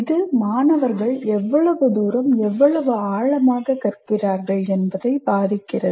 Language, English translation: Tamil, And also it influences how much and how deeply the students learn